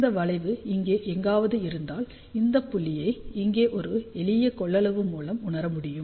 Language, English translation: Tamil, Suppose if this curve was somewhere here, then that point over here can be realized by a simple capacitance